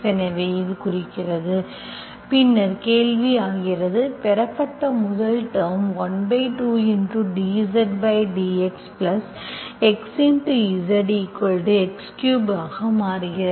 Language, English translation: Tamil, So that implies, then the question becomes, the received first term becomes 1 by2 dz by dx plus x times z equal to x cube